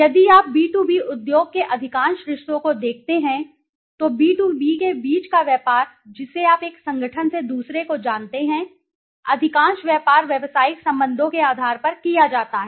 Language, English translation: Hindi, If you look at the B2B side the B2B industry most of the relationships, the business between the B2B you know the one organization to the other, most of the business is done on basis of business relationship